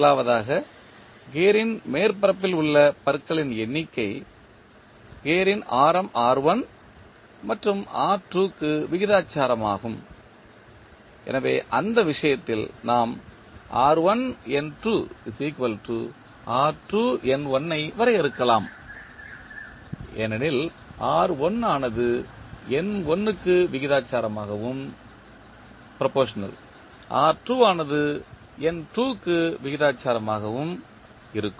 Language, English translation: Tamil, First is the number of teeth on the surface of the gear is proportional to the radius r1 and r2 of the gears, so in that case we can define r1N2 is equal to r2N1 because r1 is proportional to N1 and r2 is proportional to N2